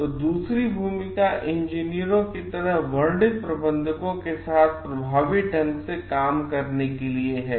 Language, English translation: Hindi, So, the second role of described of like the engineers as managers are dealing effectively with conflicts